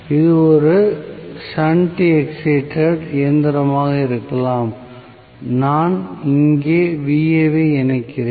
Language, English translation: Tamil, May be it is a shunt excited machine and I am connecting Va here